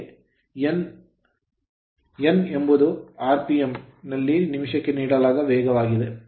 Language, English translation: Kannada, And N that speed is given is rpm revolution per minute